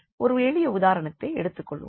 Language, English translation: Tamil, And then let us take a simple example